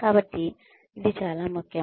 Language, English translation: Telugu, So, it is very important